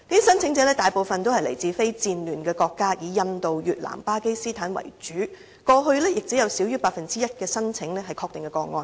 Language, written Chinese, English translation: Cantonese, 申請者大部分來自非戰亂國家，以印度、越南和巴基斯坦為主，過去亦只有少於 1% 的申請為確定個案。, Most of the claimants are not from war - torn countries . They mainly come from India Vietnam and Pakistan . In the past confirmed cases accounted for less than 1 % of all non - refoulement claims